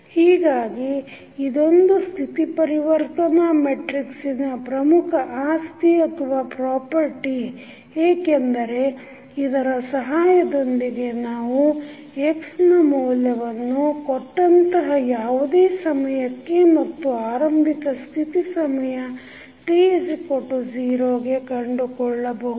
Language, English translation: Kannada, So, this is one of the most important property of the state transition matrix because with the help of this we can completely find the value of x at any time t given the initial state that is state at time t is equal to 0